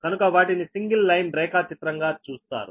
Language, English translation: Telugu, and this is that your single line diagram